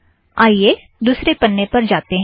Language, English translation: Hindi, And lets go to the next page